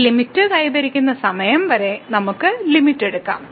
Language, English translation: Malayalam, We can take the limit till the time we achieve this limit